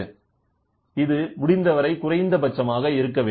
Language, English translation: Tamil, So, this should be as minimum as possible